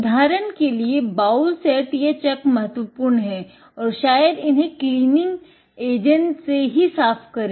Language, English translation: Hindi, Take, for example, the bowl set or the chuck does matter and clean it probably with the cleaning agent